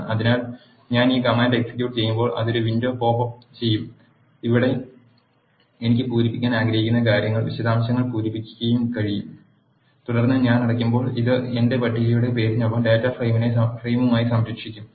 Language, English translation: Malayalam, So, when I execute this command it will pop up a window, where I can fill in the details what I want to fill in and then when I close this will save the data as a data frame by name my table